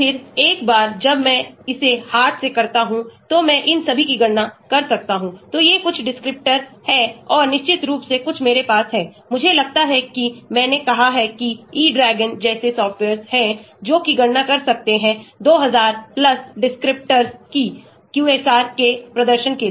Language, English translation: Hindi, And then once I do it by hand, I can calculate all these, so these are some descriptors and of course, some I have; I might have omitted like I said there are softwares like e dragon which can calculate 2000+ descriptors for performing QSAR